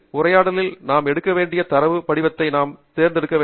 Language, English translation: Tamil, in the dialog we must choose the format of the data that we want to take